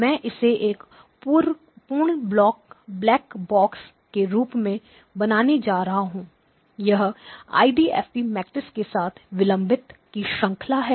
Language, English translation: Hindi, I am going to draw this as a complete black box, what is inside is a delay chain with the IDFT matrix okay